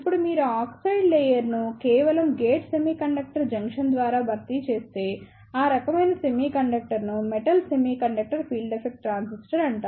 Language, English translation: Telugu, Now, if you replace this oxide layer by simply gate semiconductor junction, then that type of semiconductor is known as the Metal Semiconductor Field Effect Transistor